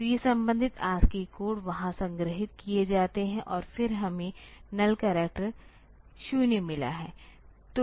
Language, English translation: Hindi, So, these are the; the corresponding ascii codes are stored there and then we have got the null character 0